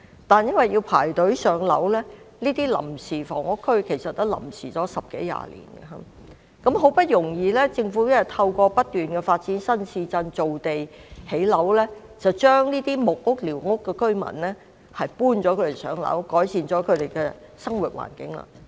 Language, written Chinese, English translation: Cantonese, 但因為市民須輪候上樓，他們在這些臨屋區"臨時"居住了十多二十年，政府好不容易透過不斷發展新市鎮，造地建屋，將這些木屋和寮屋居民安排上樓，改善了他們的生活環境。, However since members of the public had to wait for allocation of PRH they had temporarily lived in these THAs for 10 to 20 years . Through continuous development of new towns and creation of land for housing construction with much hard effort the Government arranged for these residents in wooden huts and squatter huts to move to PRH thereby improving their living environment